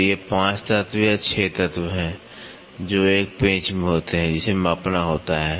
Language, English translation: Hindi, So, these are the 5 elements or 6 elements, which are there in a screw, which has to be measured